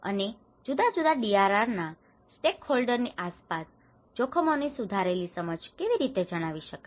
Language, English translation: Gujarati, And how can an improved understanding of risk be communicated around varying DRR stakeholders